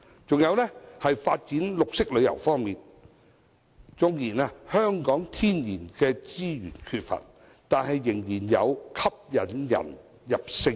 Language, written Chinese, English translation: Cantonese, 此外，在發展綠色旅遊方面，縱然香港缺乏天然資源，但仍然有其引人入勝之處。, Moreover on the development of green tourism Hong Kong still has its attractions despite the absence of natural resources